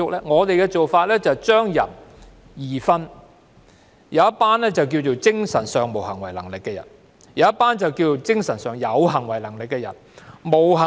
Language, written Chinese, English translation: Cantonese, 我們的做法是把人分為兩種，"精神上無行為能力的人"和"精神上有行為能力的人"。, Our approach is to categorize all persons into two types mentally incapacitated persons and mentally capable persons